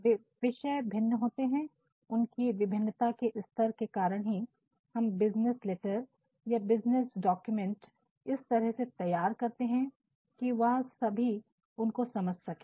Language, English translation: Hindi, So, they all vary and the level of their variation actually prompts us to draft business letters or business documents in a manner that all of them can understand